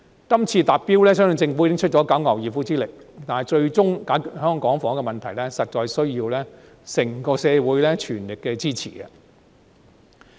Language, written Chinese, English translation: Cantonese, 今次達標，相信政府已經用盡九牛二虎之力，但最終解決香港房屋的問題，實在有賴整個社會的全力支持。, I believe that the Government has moved heaven and earth to achieve the target this time but the ultimate solution to Hong Kongs housing problem indeed relies on the full support of the community as a whole